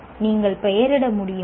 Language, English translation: Tamil, Can you name the